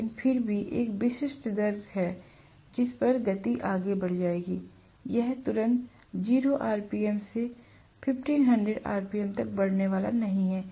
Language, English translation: Hindi, But still there is a specific rate at which the speed will increase; it is not going to increase right away from 0 rpm to 1500 rpm